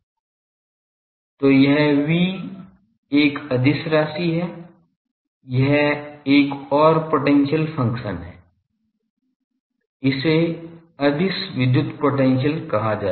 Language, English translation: Hindi, So, this V is a scalar this is another potential function so this one is called scalar electric potential